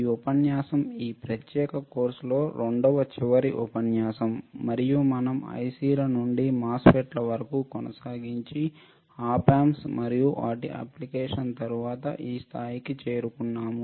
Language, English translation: Telugu, This lecture is somewhere in the second last lecture of this particular course and we have reached to the point that we have seen somewhere from ICS to MOSFETS followed by the op amps and their application